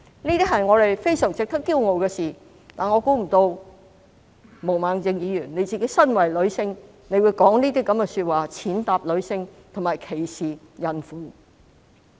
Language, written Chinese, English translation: Cantonese, 這些是我們非常值得驕傲的事，但我想不到毛孟靜議員身為女性會說出這樣的話，踐踏女性及歧視孕婦。, We should be proud of Ms YUNGs accomplishments but I was surprised that Ms Claudia MO being a female makes such remarks to trample on women and discriminate against pregnant women